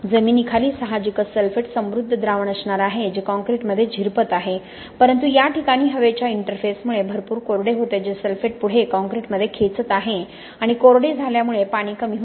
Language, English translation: Marathi, Under the soil there is obviously going to be a sulphate rich solution which is permeating into the concrete, but because of the air interface at this location there is substantial drying which is pulling up the sulphate further into the concrete and because of drying the water is going away enriching the sulphate in this region